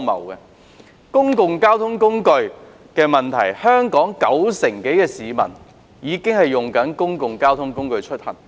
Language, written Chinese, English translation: Cantonese, 在公共交通方面，香港已有九成多市民使用公共交通工具出行。, As for public transport more than 90 % of the members of the public use public transport in Hong Kong